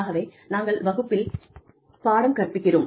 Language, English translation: Tamil, So, we teach in class